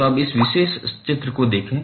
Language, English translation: Hindi, So, now look at this particular figure